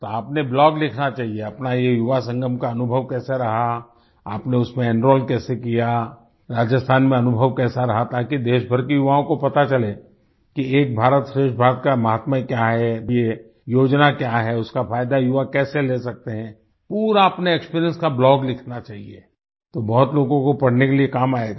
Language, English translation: Hindi, Then you should write a blogon your experiences in the Yuva Sangam, how you enrolled in it, how your experience in Rajasthan has been, so that the youth of the country know the signigficance and greatness of Ek Bharat Shreshtha Bharat, what this schemeis all about… how youths can take advantage of it, you should write a blog full of your experiences… then it will be useful for many people to read